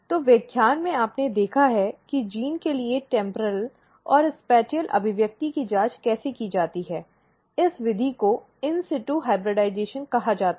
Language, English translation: Hindi, So, in the lecture you have seen how the temporal and spatial expression for gene is checked, the method is called as in situ hybridization